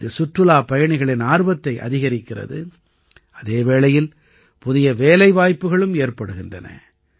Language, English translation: Tamil, This has not only increased the attraction of tourists; it has also created new employment opportunities for other people